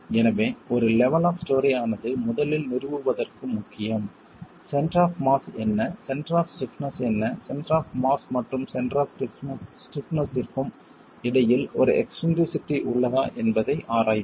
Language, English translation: Tamil, So, at the level of a story, it becomes important to first establish what is the center of mass, what is the center of stiffness, and examine if there is an eccentricity between the center of mass and the center of stiffness